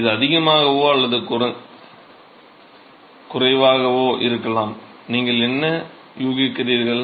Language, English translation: Tamil, It will be higher or lower, what would you guess